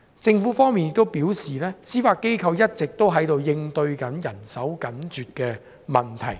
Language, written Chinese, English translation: Cantonese, 政府方面亦表示，司法機構一直在應對人手緊絀的問題。, The Government also advised that the Judiciary has been addressing issues arising from the tight manpower situation